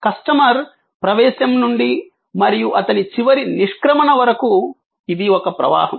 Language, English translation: Telugu, Right from the entrance of the customer and his final departure, it is a flow